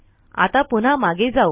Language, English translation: Marathi, Now lets go back here